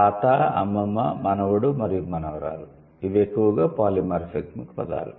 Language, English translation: Telugu, Grandfather, grandmother, grandson and granddaughter, these are mostly polymorphic words